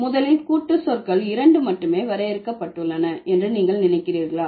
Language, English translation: Tamil, First, do you think compound words are limited to only two words or you can add more than that